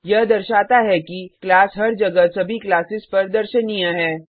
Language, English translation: Hindi, This shows that the class is visible to all the classes everywhere